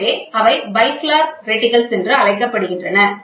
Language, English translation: Tamil, So, they are also known as bifilar reticles, ok